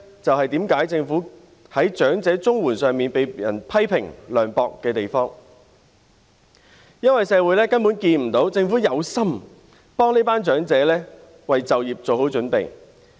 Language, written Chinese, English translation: Cantonese, 這便是政府在長者綜援一事上被人批評為涼薄的原因，因為社會根本看不到政府有心協助這群長者為就業作好準備。, This is precisely the reason for the criticism that the Government is heartless in the incident related to CSSA for the elderly since the community cannot see how the Government is prepared to help this group of elderly people make preparations for taking up employment